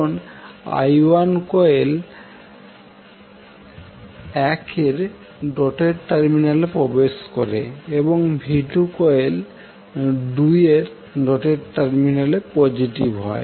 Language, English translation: Bengali, Because I1 enters the doted terminal of the coil 1 and V2 is positive at the doted terminal of coil 2